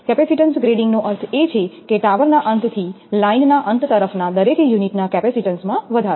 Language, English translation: Gujarati, Capacitance grading means an increase in the capacitance of each unit from the tower end towards the line end